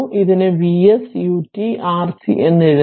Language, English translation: Malayalam, And it can be written as V s u t then R and C